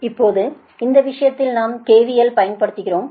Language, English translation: Tamil, right now, in this case, we apply k v l